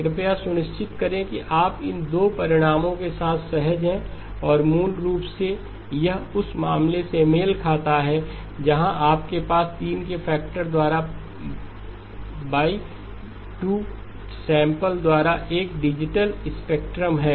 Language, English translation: Hindi, Please make sure that you are comfortable with these two results and basically this corresponds to the case where you have a spectrum digital spectrum all the way to pi by 2 downsample by a factor of 3